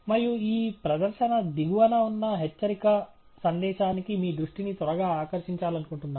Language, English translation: Telugu, And I quickly want to draw your attention to the warning message at the bottom of this display